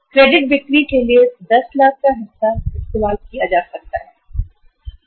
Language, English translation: Hindi, Part of the 10 lakhs can be used for funding the credit sales